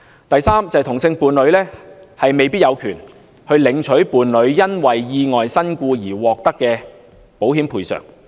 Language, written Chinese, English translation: Cantonese, 第三，同性伴侶未必有權領取伴侶因意外身故而獲得的保險賠償。, Third homosexual couples may not have the right to receive the compensation paid to their partners who died in accidents